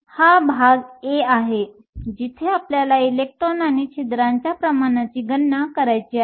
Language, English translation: Marathi, So, this is part a, where we want to calculate the concentration of electrons and holes